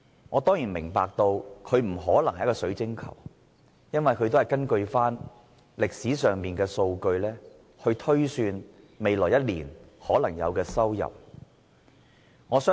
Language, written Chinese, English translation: Cantonese, 我當然明白，預算案不可能像水晶球般預示未來的情況，因為預算案只是根據過去的數據，推算未來一年可能有的收入。, I certainly understand that the Budget cannot accurately predict the future like a crystal ball since the Budget is a prediction of the potential incomes in the coming year based on past data